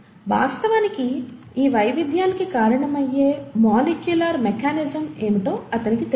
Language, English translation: Telugu, He did not know what is the molecular mechanism which actually causes this variation